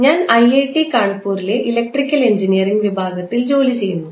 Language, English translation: Malayalam, I am working with department of electrical engineering at IIT Kanpur